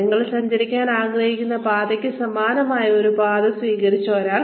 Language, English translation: Malayalam, Somebody, who has adopted a path, similar to the one, you want to travel on